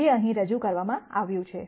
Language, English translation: Gujarati, Which is what has been represented here